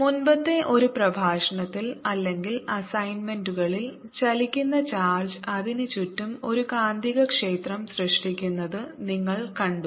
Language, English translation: Malayalam, in one of the previous lectures or assignments you seen that a moving charge create a magnetic field around it